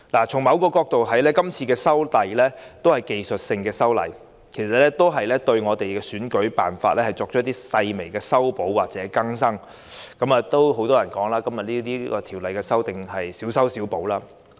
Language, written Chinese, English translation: Cantonese, 從某角度來看，今次修例屬於技術性修訂，對選舉辦法作出一些細微修補或更新，對很多人來說是小修小補。, This legislative amendment exercise if viewed from a particular perspective is technical in nature involving only minor amendments or updates on the election methods . Many people may consider these amendments insignificant